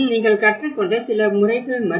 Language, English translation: Tamil, This has been also, some of the methods you have learnt